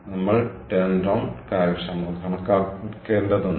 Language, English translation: Malayalam, we have to calculate the turnaround efficiency